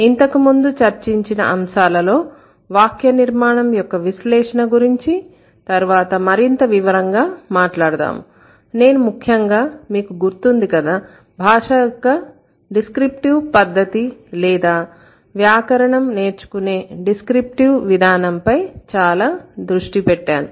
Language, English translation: Telugu, In the earlier approaches, the analysis of syntax, we'll talk about it in more detail later but then primarily if you remember, I focused a lot on the descriptive approach of language or the descriptive approach of learning grammar, right